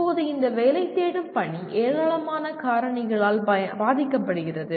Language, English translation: Tamil, Now this seeking placement is influenced by a large number of factors